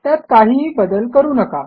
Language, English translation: Marathi, Dont change anything